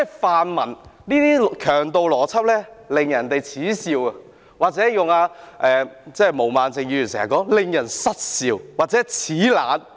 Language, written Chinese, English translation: Cantonese, 泛民這種強盜邏輯惹人耻笑，或者，借用毛孟靜議員經常說的話，是：令人失笑或齒冷。, The pan - democrats use of gangster logic is inviting contempt . To borrow a phrase often used by Ms Claudia MO it makes people laugh or sneer contemptuously